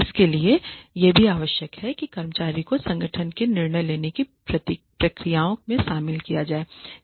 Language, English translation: Hindi, It also requires that employees be included in the decision making processes of the organization